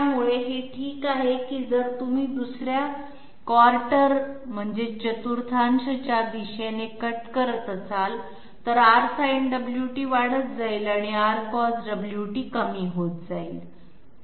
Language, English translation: Marathi, So this may be fine that if you are cutting along a 2nd quadrant, R Sin Omega t goes on increasing while R Cos Omega t goes on decreasing